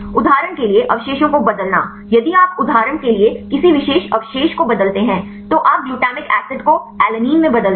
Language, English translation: Hindi, Change of residues for example, if you change any specific residues for example, you change a glutamic acid to alanine